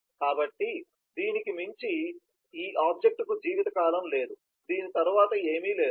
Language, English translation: Telugu, so beyond this there is no lifetime for this object, nothing exist after this